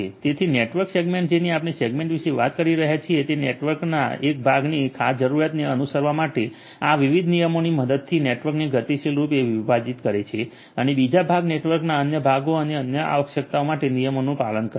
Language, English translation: Gujarati, So, network segmentation we are talking about segment is segmenting the network dynamically with the help of these different rules to have one part of the network follow certain requirement and the other part the segment other segments of the network follow other requirements and rules